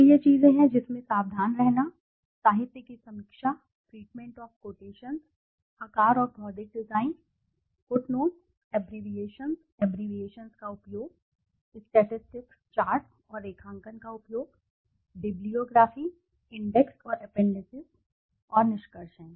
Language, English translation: Hindi, So, these are the things one has to be careful, review of literature, treatment of quotations, size and physical design, footnotes, abbreviations, use of abbreviations, use of statistic charts and graphs, bibliography, index and appendices and conclusions